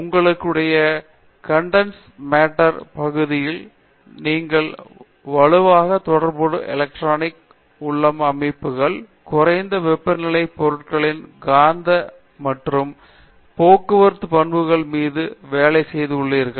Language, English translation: Tamil, I think your area, you are expert in condense matter, in rarer inter metallic, you also work on strongly correlated electron systems and also on magnetic and transport properties of materials at low temperatures, these are some